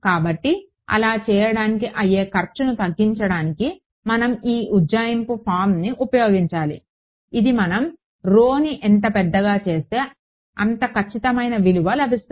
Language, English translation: Telugu, So, to reduce the cost of doing that, we should use this approximate form which is more at which is accurate as we go to larger and larger rho ok